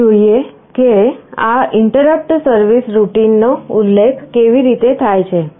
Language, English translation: Gujarati, Let us see how this interrupt service routine is mentioned